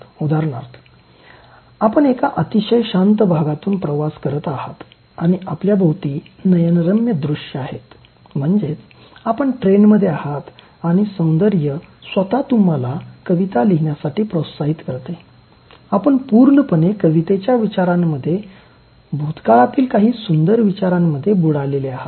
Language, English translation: Marathi, For instance, let us say you are travelling in a very calm area where you are surrounded by scenic beauty and then you are on a train and then the beauty itself is evoking you to write some poem, you are in a very poetic thought and then some nostalgic moments so you are completely immersed in very beautiful thoughts